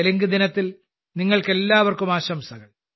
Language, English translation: Malayalam, Many many congratulations to all of you on Telugu Day